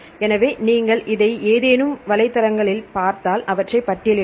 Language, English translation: Tamil, So, if you look at to this any of websites and then listing of databases